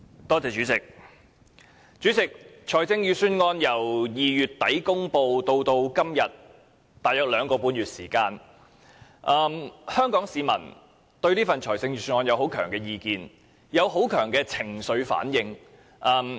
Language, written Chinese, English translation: Cantonese, 代理主席，財政預算案由2月底公布至今約兩個半月，香港市民對此有強烈意見及情緒反應。, Deputy Chairman people have reacted to the Budget with strong views and emotional responses over the last two and a half months since its announcement in late - February